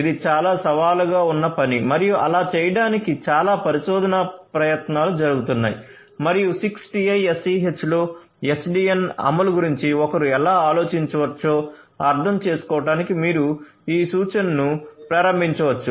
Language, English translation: Telugu, So, this is a highly challenging job and so many research efforts are being poured in order to do so, and here is this reference that you can look at to start with in order to understand how one could think of SDN implementation in 6TiSCH